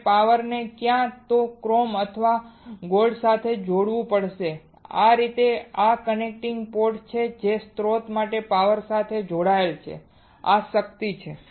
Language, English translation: Gujarati, I have to connect the power either to chrome or to gold that is how this is the connecting port connecting port for source to the power this is the power this